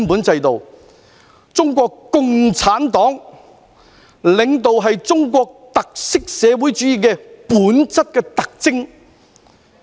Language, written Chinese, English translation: Cantonese, 中國共產黨領導是中國特色社會主義最本質的特徵。, Leadership by the Communist Party of China is the defining feature of socialism with Chinese characteristics